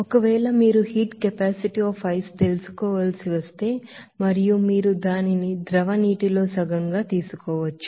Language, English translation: Telugu, Now if you need to know the heat capacity of ice and you can take it to be half that of a liquid water